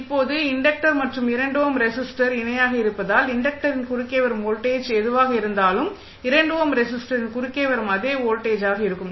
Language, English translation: Tamil, Now, since the inductor and the 2 ohm resistors are in parallel that means whatever is the voltage coming across the inductor will be the same voltage which is coming across the 2 ohm resistor